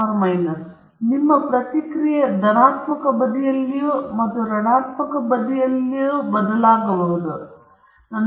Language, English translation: Kannada, So, your response may be varying on the positive side and also on the negative side